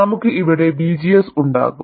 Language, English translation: Malayalam, We will have V, G, S here